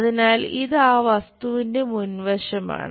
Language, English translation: Malayalam, So, this is the front side of that object